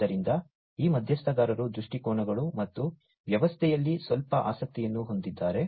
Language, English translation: Kannada, So, these stakeholders have some interest in the viewpoints and the system